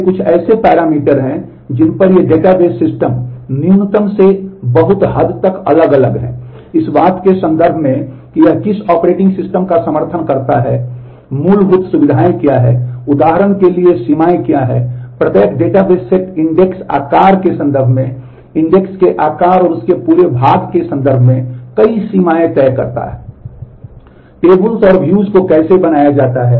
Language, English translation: Hindi, These are here are some of the parameters on which these database systems vary in a in a minimal to a very large extent, in terms of what operating systems it supports, what are the fundamental features, what are the limits for example, every database sets a number of limits in terms of the index size, in terms of the table size and whole lot of that